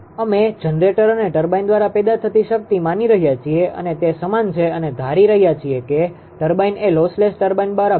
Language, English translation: Gujarati, We are assuming the power generated by the generator and the turbine it is same and assuming that turbine is a lossless turbine right